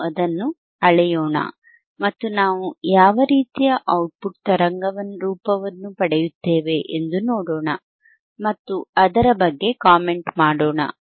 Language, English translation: Kannada, lLet us measure it and let us see what kind of output waveform, we see and let us comment on it, alright